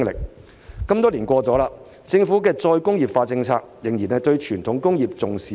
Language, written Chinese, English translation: Cantonese, 事隔多年，政府的再工業化政策，對傳統工業仍然重視不足。, Many years on the Government has still failed to attach due importance to traditional industries in its re - industrialization policy